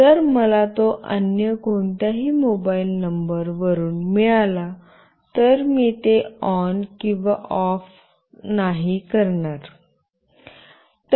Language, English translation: Marathi, If I get it from any other mobile number, I will not make it on or off